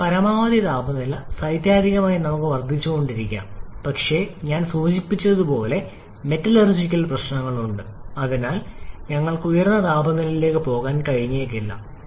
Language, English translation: Malayalam, Now maximum temperature, theoretically we can keep on increasing but as I have mentioned there are metallurgical limitations and so we may not be able to go to very high temperature